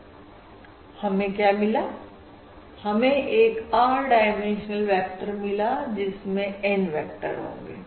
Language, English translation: Hindi, this consists of R N vectors which are R dimensional, so R dimensional vectors, N of them